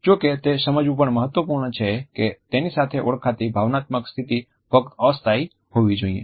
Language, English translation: Gujarati, However, it is also important to realize that the emotional state which is identified with it should be only temporary